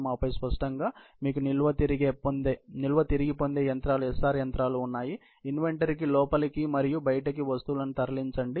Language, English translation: Telugu, And then obviously, you have the storage retrieval machines, the SR machines, move items in and out of the inventory